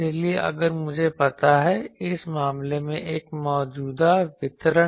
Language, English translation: Hindi, So, if I know suppose in this case a current distribution